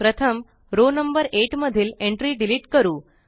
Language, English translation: Marathi, First, lets delete the entry in row number 8